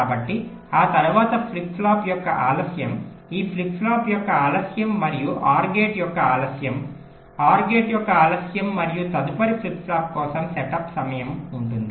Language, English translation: Telugu, so after that there will be a delay of the flip flop, delay of this flip flop plus delay of the or gate, delay of the or gate plus setup time for the next flip flop before the next clock can come